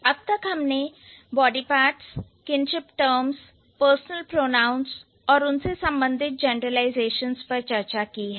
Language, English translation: Hindi, So, we, by far, we have discussed body parts, kinship terms and personal pronouns and the related generalizations